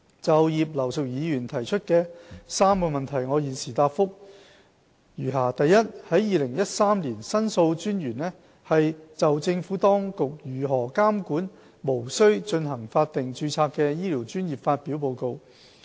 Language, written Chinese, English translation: Cantonese, 就葉劉淑儀議員所提出的3個質詢，我現答覆如下：一2013年，申訴專員就政府當局如何監管無須進行法定註冊的醫療專業發表報告。, My reply to the three parts of the question raised by Mrs Regina IP is as follows 1 In 2013 The Ombudsman released a report on the Governments control of health care professions not subject to statutory registration